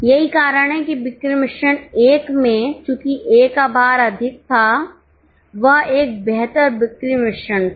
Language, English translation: Hindi, That is why in sales mix 1, since the weightage of A was higher, that was a better sales mix